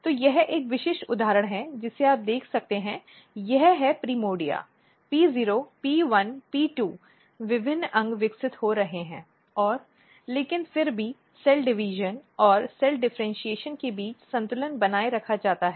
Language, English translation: Hindi, So, this is a typical example you can see this is primordia P 0 P 1 P 2 different organs are developing and, but a still a balance between cell division and cell differentiations are maintained